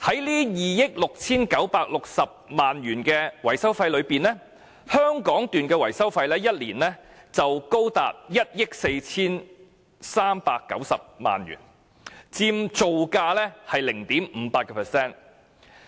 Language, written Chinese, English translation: Cantonese, 在2億 6,960 萬元的維修費中，香港段的維修費一年已高達1億 4,390 萬元，佔造價的 0.58%。, Within this maintenance cost of 269.6 million the maintenance cost of the Hong Kong section is as high as 143.9 million in a single year and equivalent to 0.58 % of its construction cost